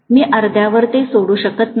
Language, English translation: Marathi, I cannot leave it halfway through